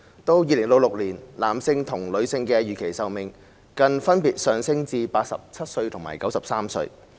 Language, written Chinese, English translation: Cantonese, 到2066年，男性和女性的預期壽命更分別上升至87歲和93歲。, In 2066 the projected life expectancies for males and females will further increase to 87 years and 93 years respectively